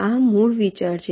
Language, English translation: Gujarati, ok, this is the basic idea